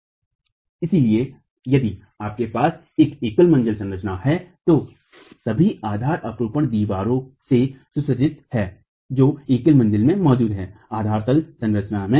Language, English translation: Hindi, So, if you have a single story structure, all the base share is equilibrated by the walls that are present in the single story, in the ground story structure itself